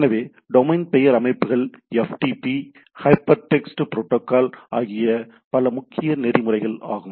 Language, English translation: Tamil, So, Domain Name Systems, FTP, Hypertext Protocol and so and so forth as some of the important protocols